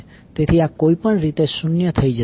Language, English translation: Gujarati, So, this will be anyway become zero